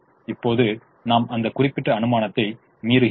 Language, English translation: Tamil, now we are violating that assumption